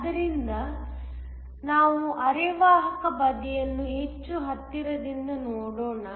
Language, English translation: Kannada, So, let us look more closely at the semiconductor side